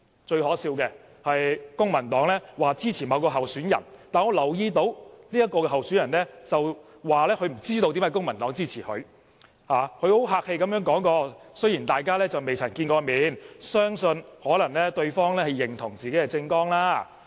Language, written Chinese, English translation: Cantonese, 最可笑的是，公民黨說支持某位候選人，但我留意到這位候選人說不知道為何公民黨會支持自己，只客氣的說雖然大家未曾見面，相信對方可能是認同自己的政綱。, There is one thing I find most laughable . While the Civic Party has declared its support for a certain candidate the candidate said that he did not know why the Civic Party supported him and out of courtesy he said that although he had not met with these people he believed that the Civic Party supported him because it agreed with the contents of his election platform